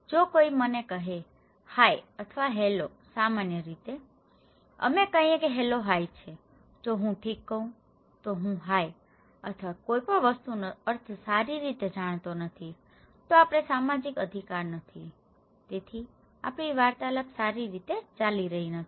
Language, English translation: Gujarati, If somebody is saying to me, hi or hello generally, we say hello are hi, if I say okay I don't know the meaning of hi or anything well, we are not social right, so our interaction is not going on well